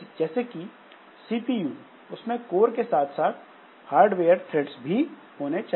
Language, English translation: Hindi, Like CPUs have course as well as hardware threads